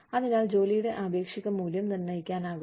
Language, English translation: Malayalam, So, that the relative worth of the jobs, can be determined